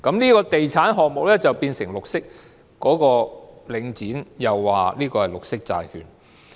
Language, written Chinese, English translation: Cantonese, 這個地產項目因而便成為"綠色"，領展亦指這是綠色債券。, This real estate project thus became green . Link also claimed that it was a green bond